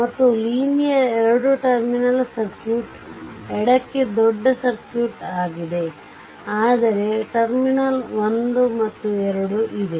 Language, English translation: Kannada, And linear 2 terminal circuit this is a this is a big circuit to the left of this one, but some terminal 1 and 2 is there